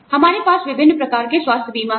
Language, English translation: Hindi, We have various types of health insurance